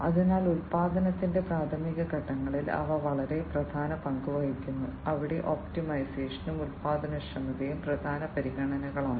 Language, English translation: Malayalam, So, they are very important, they play a very important role, they play very important role in the primary stages of manufacturing, where optimization and productivity are important considerations